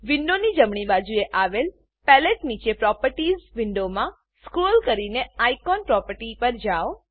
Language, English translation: Gujarati, In the Properties window, below the palette, on the right hand side of the window, scroll to the Icon property